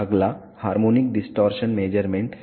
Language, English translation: Hindi, Next is harmonic distortion measurement